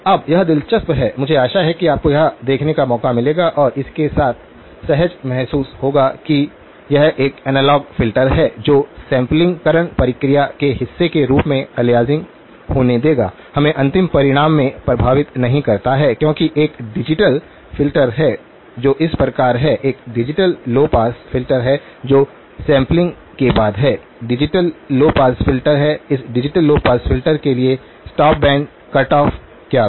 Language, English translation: Hindi, Now that is interesting, I hope you had a chance to look at that and sort of feel comfortable with it that this is a analog filter that will allow aliasing to occur as part of the sampling process, does not affect us in the final result because there is a digital filter that follows; there is a digital low pass filter that is after sampling, digital low pass filter, what was these stop band cut off for this digital low pass filter